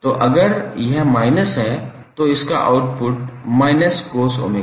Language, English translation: Hindi, So if it is minus then your output will be minus of cos omega t